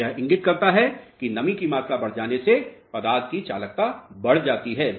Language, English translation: Hindi, So, what this indicates is as the moisture content increases conductivity of the material increases